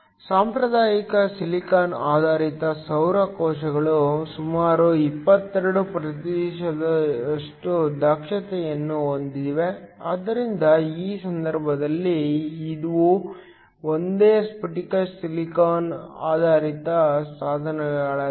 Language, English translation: Kannada, Conventional silicon based solar cells have efficiencies of around 22 percent, so in this case these are single crystal silicon based devices